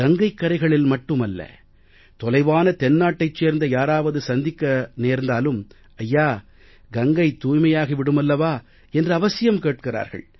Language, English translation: Tamil, I have seen that not just on the banks of Ganga, even in far off South if one meets a person, he is sure to ask, " Sir, will Ganga be cleaned